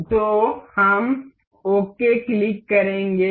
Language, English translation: Hindi, So, we will click ok